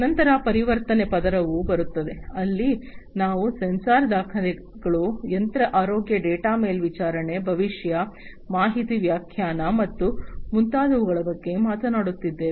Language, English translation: Kannada, Then comes the conversion layer, here we are talking about sensor records, you know, machine health data monitoring, prediction, information interpretation, and so on